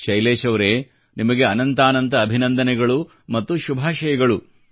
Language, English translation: Kannada, " Well, Shailesh ji, heartiest congratulations and many good wishes to you